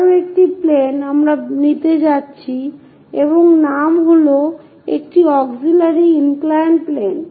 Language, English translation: Bengali, One more plane we are going to take and the name is auxiliary inclined plane